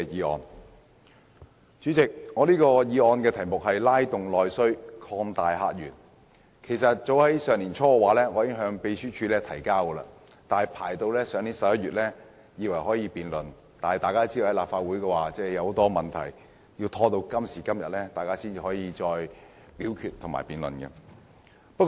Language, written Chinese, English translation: Cantonese, 代理主席，這項題為"拉動內需擴大客源"的議案其實早於上年年初提交秘書處，去年11月我以為終於可以進行辯論，但大家都知道，立法會發生了很多問題，直至今天才可以進行辯論和表決。, Deputy President this motion on Stimulating internal demand and opening up new visitor sources was actually submitted to the Secretariat early last year . In November last year I thought we could finally conduct a debate on it but as we all know the Legislative Council has since encountered a lot of problems and it is only until today that the debate and voting can finally be conducted